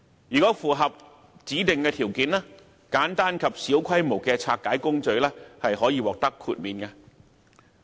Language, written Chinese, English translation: Cantonese, 如果符合指定條件，簡單及小規模的拆解工序可獲豁免。, Simple dismantling process of regulated e - waste conducted on a small scale will be excluded if the specified conditions are met